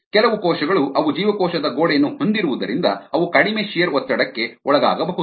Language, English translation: Kannada, some cells, because they have a shear wall, they could be less susceptible